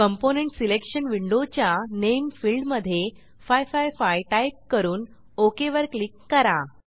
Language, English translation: Marathi, In the Name field of component selection window, type 555 and click on Ok